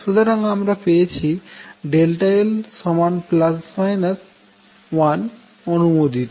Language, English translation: Bengali, So, what we found is l plus minus 1 is allowed